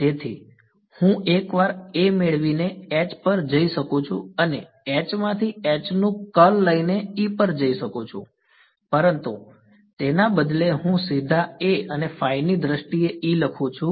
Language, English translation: Gujarati, So, I can go from once get A I can go to H and from H I can go to E by taken curl of H, but instead I am writing E directly in terms of A and phi